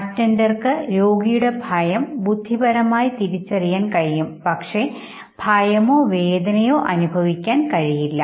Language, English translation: Malayalam, Now he can intellectually realize the patient’s fear, but cannot experience fear or pain okay